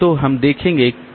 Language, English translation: Hindi, So, we'll see that